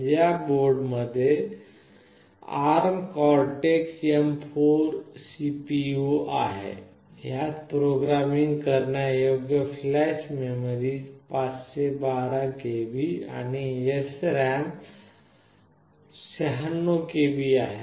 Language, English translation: Marathi, The CPU inside this particular board is ARM Cortex M4; it has got 512 KB of flash memory that is programmable and 96 KB of SRAM